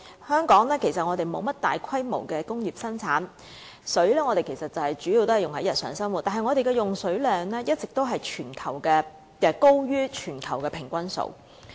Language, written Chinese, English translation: Cantonese, 香港沒有大規模的工業生產，水主要用於日常生活，但我們的用水量卻一直高於全球平均數。, There are no large scale industrial productions in Hong Kong and therefore water is mainly used in our daily lives . Yet our water consumption has always been higher than the global average